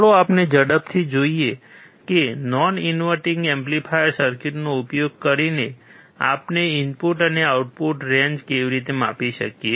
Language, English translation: Gujarati, Let us quickly see how we can measure the input and output range using the non inverting amplifier circuit